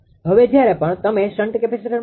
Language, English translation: Gujarati, Now whenever you put shunt capacitor